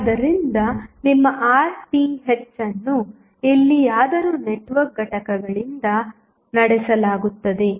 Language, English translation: Kannada, So, your Rth is anywhere driven by the network components